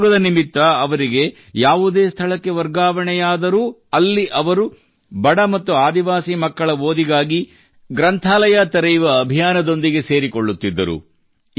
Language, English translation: Kannada, Wherever he was transferred during his job, he would get involved in the mission of opening a library for the education of poor and tribal children